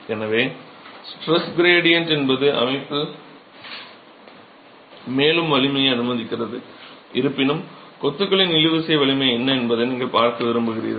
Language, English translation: Tamil, So, the stress gradient is what is allowing for a further strength in the system, though you are interested in capturing what is the tensile strength of masonry